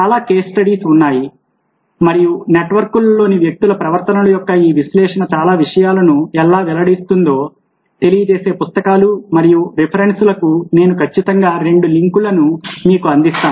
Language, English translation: Telugu, there are lot of case studies and i will definitely provided with a couple of links to books and references which tell you how this analysis of people behaviors in networks